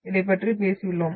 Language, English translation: Tamil, this we have talked about